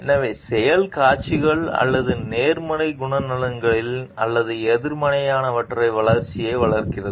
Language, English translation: Tamil, So, the act displays or for fosters development of positive character traits or negative ones